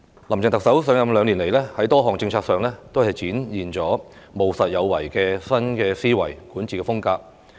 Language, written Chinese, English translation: Cantonese, 林鄭特首上任兩年來，在多項政策上都展現了務實有為的新思維管治風格。, In the two years since taking office Chief Executive Carrie LAM has demonstrated a pragmatic style of governance with a new mindset